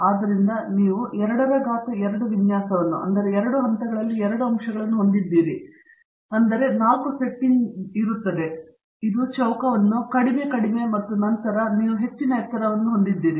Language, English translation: Kannada, So, you have a regular 2 power 2 design, 2 factors in 2 levels so you have 4 settings, this constitutes the square, low low and then you also have high high and so on